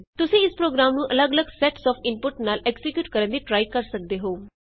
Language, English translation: Punjabi, You should try executing this program with different sets of inputs